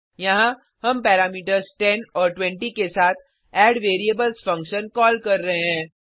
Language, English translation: Hindi, Here, we are calling addVariables function with parameters 10 and 20